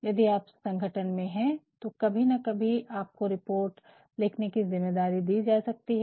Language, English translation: Hindi, If, you are in organization sometimes or the other you may be given the responsibility of writing reports